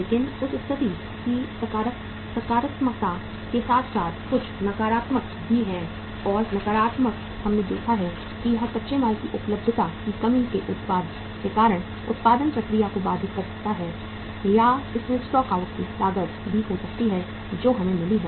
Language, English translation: Hindi, But along with the positives of that situation there are certain negatives also and negatives we have seen that it may interrupt the production process because of the lack of the availability of the raw material or it can have the stock out cost also that has we have received some unusual order from the market